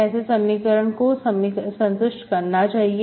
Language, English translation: Hindi, Okay, so that should satisfy this equation